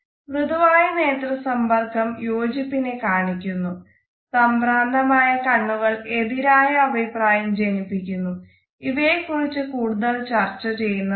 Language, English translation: Malayalam, Whereas a soft eye contact suggest agreement a distracted eye contact passes on negative connotations which have to be delved deeper further